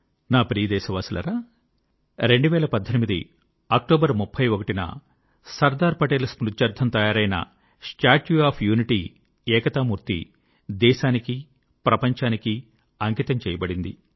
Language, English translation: Telugu, My dear countrymen, the 31st of October, 2018, is the day when the 'Statue of Unity',in memory of Sardar Saheb was dedicated to the nation and the world